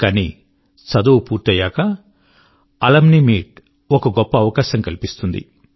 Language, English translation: Telugu, But after completing studies, Alumni Meets are joyous occasions